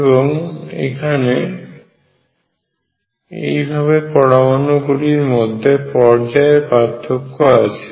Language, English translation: Bengali, And it has a period of the distance between the atoms